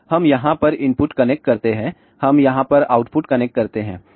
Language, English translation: Hindi, So, we connect the input over here we connect the output over here